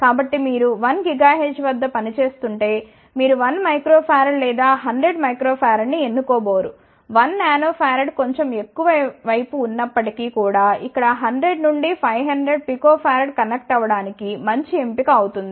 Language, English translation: Telugu, So; that means, if you are operating at 1 gigahertz, you are not going to choose 1 microfarad or 100 microfarad, even 1 Nanfarad will be slightly on the higher side 100 to 500 Picofarad will be good choice to connect over here